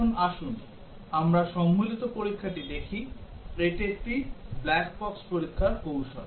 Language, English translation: Bengali, Now let us look at Combinatorial Testing, which is another black box testing technique